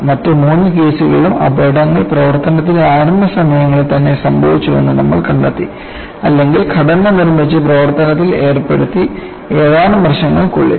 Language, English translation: Malayalam, You know,in all the three other cases, we saw that the accidents took place very early in the surface, or within few years after the structure is built and put into surface